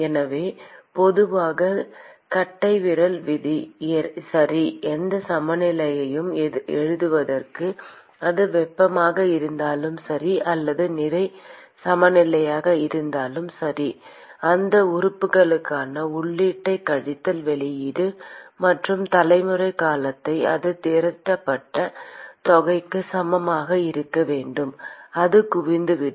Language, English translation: Tamil, So the general thumb rule, okay , for writing any balance whether it is heat or mass balance, is that we say input to that element minus output plus generation term that should be equal to the amount that is accumulated that will be accumulation